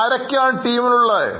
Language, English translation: Malayalam, Who will be in the team